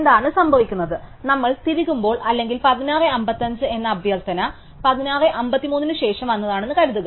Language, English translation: Malayalam, So, what happens is that we should when we insert or we accept the request for 16:55 assuming it came after 16:53